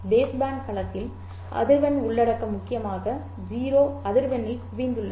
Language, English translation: Tamil, In the base band domain, the frequency content is mainly concentrated at the zero frequency